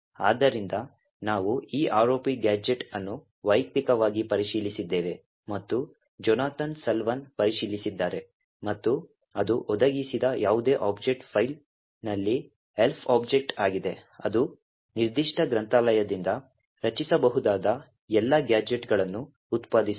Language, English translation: Kannada, So, we have personally verified and checked this ROP gadget, by Jonathan Salwan and it works on any object file provided is an ELF object, it would output all the gadgets that can be created from that particular library